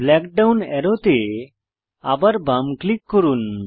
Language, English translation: Bengali, Left click the black down arrow again